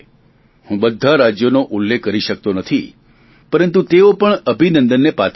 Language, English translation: Gujarati, I am not able to mention every state but all deserve to be appreciated